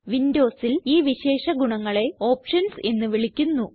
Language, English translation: Malayalam, For Windows users, this feature is called Options